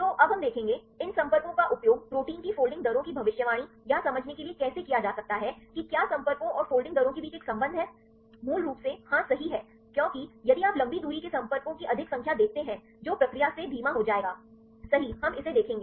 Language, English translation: Hindi, So, now we will see; how these contacts it can be used for predicting or understanding protein folding rates whether there is a relationship between the contacts and the folding rates right basically yes right because if you see the more number of long range contacts that will slows from the process, right, we will see it